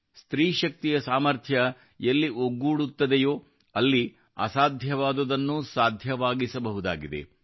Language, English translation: Kannada, Where the might of women power is added, the impossible can also be made possible